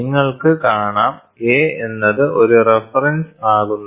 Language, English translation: Malayalam, So, you can see a can be a reference